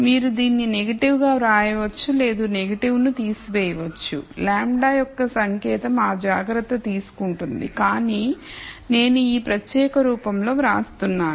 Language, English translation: Telugu, So, you can write this as negative or drop the negative and the sign of the value lambda will take care of that, but I am writing in this particular form